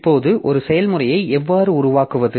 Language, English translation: Tamil, Now how do we create a process